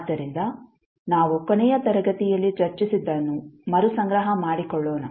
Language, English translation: Kannada, So, let us recap what we were discussing in the last class